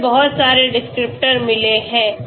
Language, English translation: Hindi, So we can calculate lot of descriptors okay